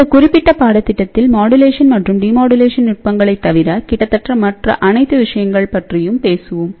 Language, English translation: Tamil, So, in this particular course, we will talk about almost all the things except for the modulation and demodulation techniques which is generally covered in different courses